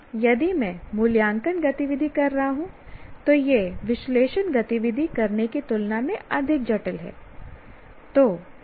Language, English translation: Hindi, That means if I am doing analyze activity it is more complex than apply activity